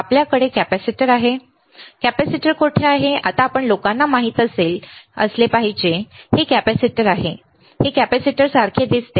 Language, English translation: Marathi, You have capacitor where is capacitor now you guys should know, this is capacitor it looks like capacitor, right